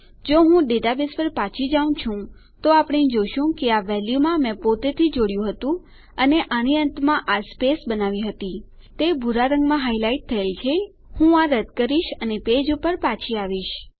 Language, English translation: Gujarati, If I go back to my database here, we see that I had added in this value myself and I had created this space at the end of this you can see it highlighted in blue Ill just get rid of that quickly and Ill come back to my page